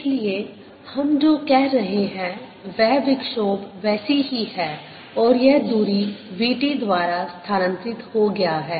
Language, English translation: Hindi, so what we are saying is that the disturbance remain the same as has shifted by distance, v, t